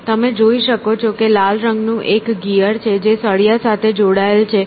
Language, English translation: Gujarati, So, you can see there is a gear in the red color fixed to a rod